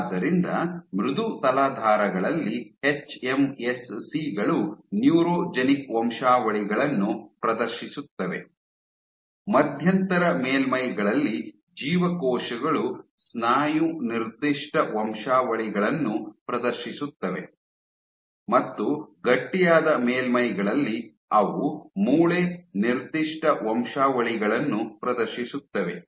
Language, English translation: Kannada, So, on soft substrates the hMSCs exhibit neurogenic lineages; on intermediate surfaces the cells exhibit muscle specific lineages; and on stiff surfaces they exhibit bone specific lineages